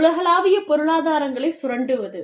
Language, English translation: Tamil, Exploiting global economies of scale